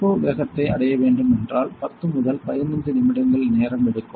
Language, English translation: Tamil, If it will take time for reaching the turbo speed 10 to 15 minutes